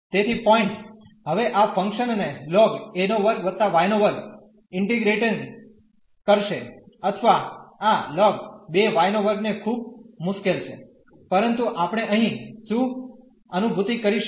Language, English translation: Gujarati, So, the point is now integrating this function the logarithmic function a square plus this y square or this ln two y square is very difficult, but what we will realize here